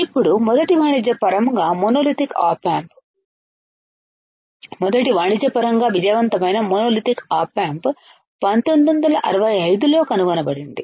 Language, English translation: Telugu, Now, first commercially monolithic op amp, first commercially successful monolithic op amp was found in 1965, 1965 ok